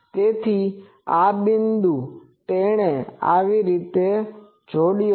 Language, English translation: Gujarati, So, this point he has connected like this